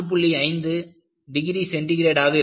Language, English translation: Tamil, 5 degree centigrade